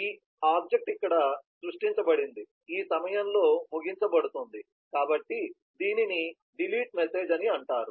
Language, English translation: Telugu, this object was created here is terminated at this point, so this is known as delete message